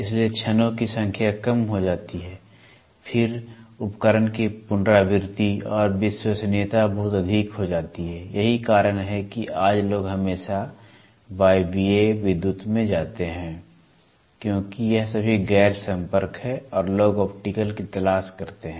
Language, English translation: Hindi, So, moment the number of parts are reduced then the repeatability and reliability of the equipment goes very high, that is why today it is people always move to pneumatic, to people move to electrical because it is all non contact and people look for optical